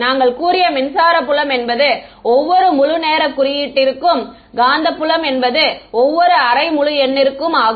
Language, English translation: Tamil, What are the time indices we had said that electric field is every integer time index and magnetic field every half integer right